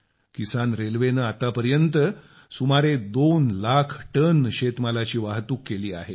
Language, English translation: Marathi, The Kisan Rail has so far transported nearly 2 lakh tonnes of produce